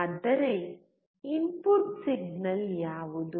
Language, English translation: Kannada, But what was the input signal